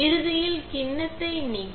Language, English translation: Tamil, And at the end, remove the bowl set